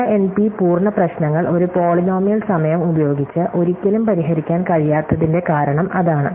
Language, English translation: Malayalam, And in addition every problem in NP reduces to it by a polynomial time reduction